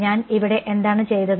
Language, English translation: Malayalam, What did I do over here